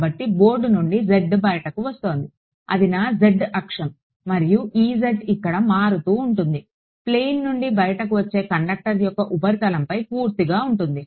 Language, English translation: Telugu, So, z was coming out of the board that was my z axis; and e z is which where it is purely along the surface of the conductor that is coming out of the plane